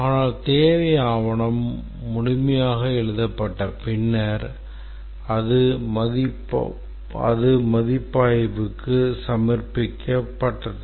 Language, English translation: Tamil, But after the requirement document is completely written, it's submitted for review